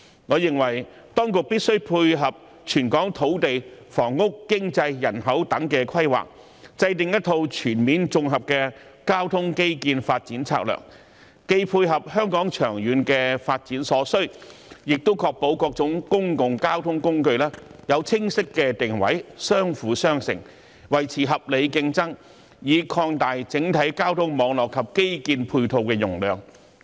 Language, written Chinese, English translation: Cantonese, 我認為當局必須配合全港土地、房屋、經濟、人口等規劃，制訂一套全面的綜合交通基建發展策略，既配合香港長遠發展所需，亦確保各種公共交通工具有清晰定位，相輔相成，維持合理競爭，以擴大整體交通網絡及基建配套容量。, I think the authorities must formulate a comprehensive transport infrastructure development strategy to tie in with the planning on land housing economy and demography to meet the needs of Hong Kongs long - term development . This will ensure that various means of public transport will have clear positioning complement each other and maintain reasonable competition to expand the overall transport network and infrastructure supporting capacity